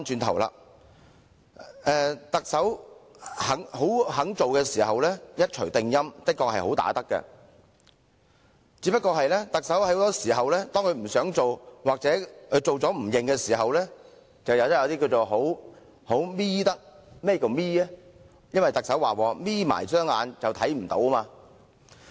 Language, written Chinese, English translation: Cantonese, 特首願意做的工作會一錘定音，的確"好打得"，但面對不想做的工作或做了不想承認的情況，就變成"好'瞇'得"，因為特首說過"'瞇'起雙眼便看不見"。, The Chief Executive is a good fighter in a sense that she will make decisive moves for the tasks that she is willing to undertake but for those tasks which she is reluctant to undertake or tasks she has undertaken but refused to admit she will squint because as she said one cant see with half - closed eyes